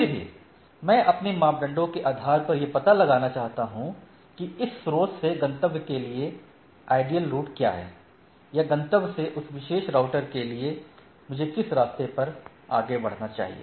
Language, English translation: Hindi, Nevertheless, based on my criteria I want to find out that what is the optimal route from this source to the destination or for that particular router to the destination, which way I should proceed